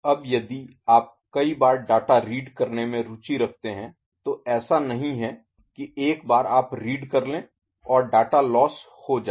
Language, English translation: Hindi, Now, if you are interested in reading the data multiple times not that once you read and the data is lost ok